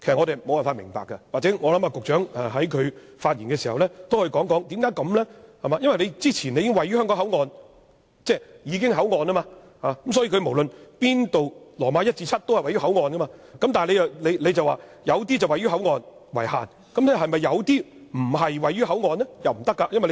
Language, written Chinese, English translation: Cantonese, 也許局長在發言時可以解釋一下，因為之前已經訂明位於香港口岸，所以無論第 i 至節都是位於口岸，但命令中有些說明位於口岸為限，那是否有些不是位於口岸呢？, Perhaps the Secretary could explain this in his speech later on . If the beginning of the subsection has already suggested that the zones are located at the Hong Kong Port all zones described in items i to vii should thus be located at the Hong Kong Port . However some items still give an additional description to state that they are located at the Hong Kong Port